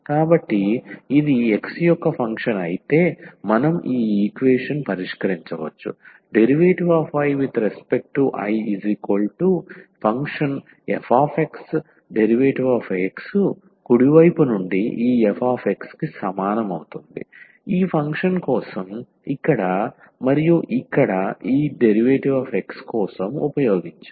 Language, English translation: Telugu, So, if this is a function of x only then we can solve this equation dI over this I from the right hand side is equal to this f x which we have used for this function here and this dx